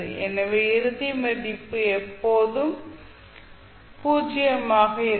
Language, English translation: Tamil, So final value will always be zero